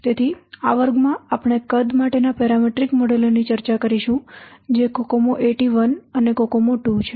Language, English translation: Gujarati, So in this class we will discuss the parameter models for size which is um, um, cocomo eighty one and cocoma two